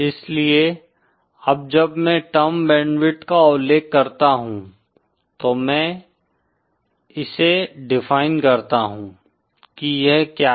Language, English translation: Hindi, So now that I mention the term band width let me define what it is